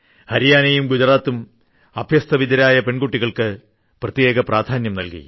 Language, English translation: Malayalam, Haryana and Gujarat gave importance to the girls, provided special importance to the educated girls